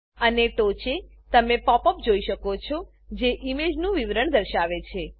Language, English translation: Gujarati, And you can see the pop up at the top, which shows the description of the image